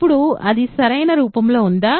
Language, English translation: Telugu, Now, is that in the correct form